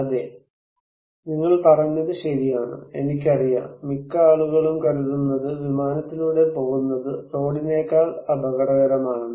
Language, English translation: Malayalam, Yes, you were right, I know, most of the people think that going by air is risky than by road